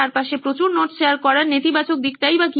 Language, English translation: Bengali, What is the negative of sharing too many notes around